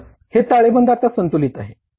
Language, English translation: Marathi, So, this balance sheet is balanced now